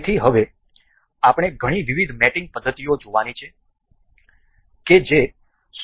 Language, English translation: Gujarati, So, now, we will we will have to see many different mating mating methods that are available in SolidWorks